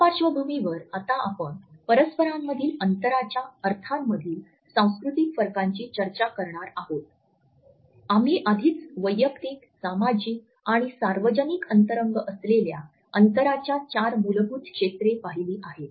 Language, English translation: Marathi, With this background now we come to a discussion of cultural differences in this spatial connotations, we have already looked at the four basic zones of distances that is intimate personal, social and public